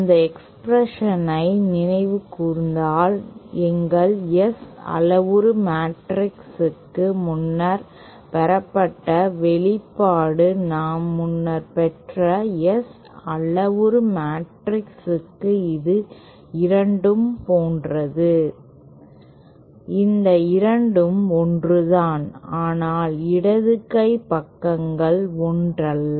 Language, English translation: Tamil, Now since this expression we call this same as the expression that we had earlier derived for our S parameter matrix if we recall that expression for S parameter matrix that we had earlier derived was like this both, these 2 are same but the left hand sides are not the same